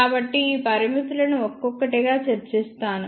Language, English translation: Telugu, I will discuss these limitations one by one